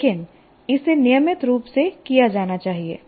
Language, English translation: Hindi, But it should be done as a matter of routine